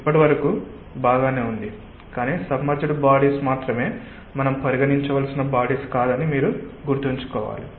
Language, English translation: Telugu, but we have to remember that submerged bodies are not the only types of bodies that we need to consider